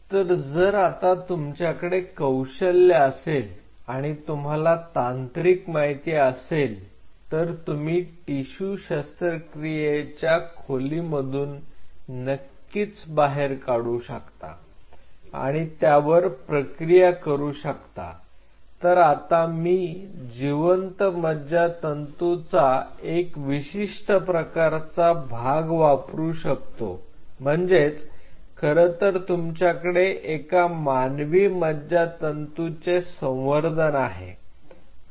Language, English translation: Marathi, So, if you have this skill set and if you have the technical know how to collect that tissue from the operation theater and process it and of course, use that particular part of the live neurons which are present there you actually can have a human neuron culture on a dish